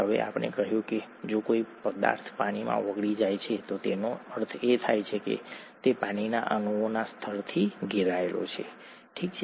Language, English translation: Gujarati, Now we said that if a substance dissolves in water, it means that it is surrounded by a layer of water molecules, okay